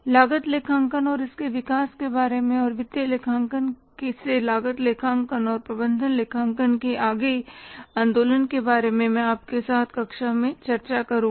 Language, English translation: Hindi, More about the cost accounting and its development and further movement from the financial accounting to cost accounting and management accounting, I will discuss with you in the next class